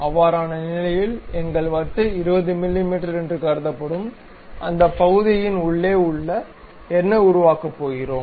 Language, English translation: Tamil, In that case our disc what we are going to construct inside of that portion supposed to be 20 mm